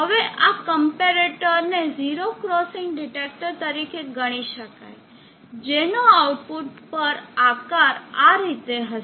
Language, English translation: Gujarati, Now this comparator, can consider it as the 0 crossing detector here, will have a shape at the output here like this